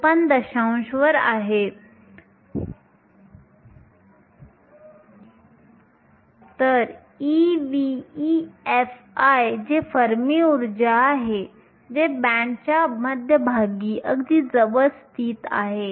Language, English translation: Marathi, 54 above e v, e f i which is the fermi energy is located very close to the center of the band